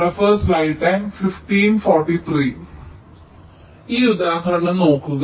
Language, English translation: Malayalam, so lets take an example